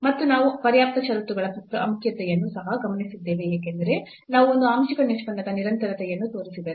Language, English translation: Kannada, And, we have also observed the sufficient the importance of sufficient conditions because if we show that the partial the continuity of one of the partial derivatives